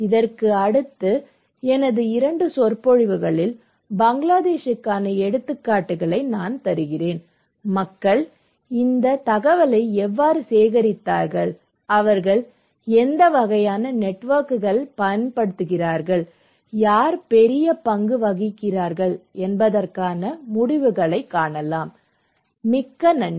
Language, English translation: Tamil, In my 2 other lectures next to that, I would then give you the examples for Bangladesh, the results that feedbacks that how people collect this information, what kind of networks they use and who play a bigger role, okay